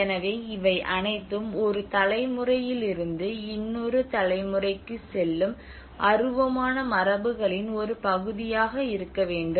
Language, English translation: Tamil, So this all has to a part of the intangible traditions which pass from one generation to another generation